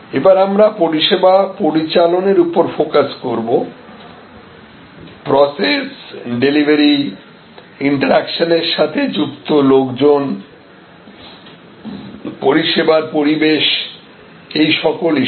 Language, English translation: Bengali, We then we can look at the focus on service operations, that is the process, the delivery, the people in interaction, the service environment and all of those issues